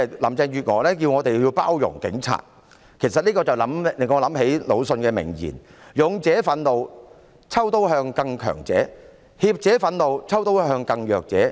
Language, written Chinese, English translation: Cantonese, 林鄭月娥要我們包容警察，這令我想起魯迅的名言："勇者憤怒，抽刀向更強者；怯者憤怒，抽刀向更弱者。, Carrie LAM wants us to be tolerant of the police officers . This reminds me of a famous quote from Lu Xun A courageous person in anger brandishes his sword to challenge the mighty but a coward in anger bullies the vulnerable